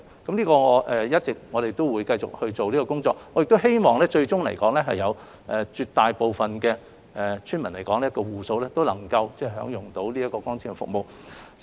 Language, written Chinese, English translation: Cantonese, 我們會一直繼續進行這方面的工作，我亦希望最終來說，絕大部分的村民都能夠享用光纖服務。, We will continue our efforts in this regard and it is my hope that at the end an overwhelming majority of villagers can enjoy the services through fibre - based networks